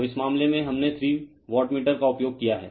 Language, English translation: Hindi, So, in this case , , in this case we have used three wattmeter is given